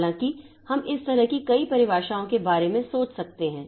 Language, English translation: Hindi, However, we can think of several definitions like this